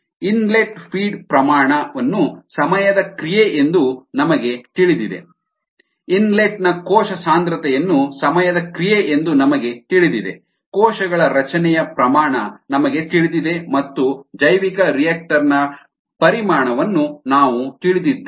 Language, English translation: Kannada, we know the inlet feed rate as a function of time, we know the inlet cell concentration as a function of time, we know rate of cell formation and we know the volume of the bioreactor